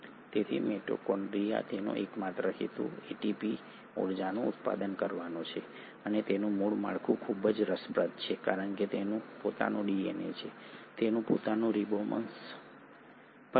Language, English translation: Gujarati, So mitochondria, its sole purpose is the generation of energy that is ATP and it has very interesting structure because it has its own DNA, it also has its own ribosomes